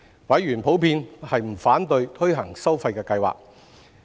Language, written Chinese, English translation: Cantonese, 委員普遍不反對推行收費計劃。, Members in general do not object to implementing the charging scheme